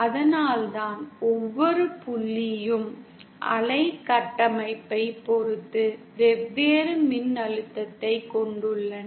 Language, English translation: Tamil, That is why, each point has a different voltage depending on the wave structure